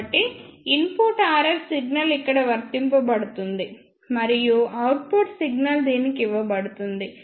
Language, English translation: Telugu, So, input RF signal is applied here and output signal will be given to this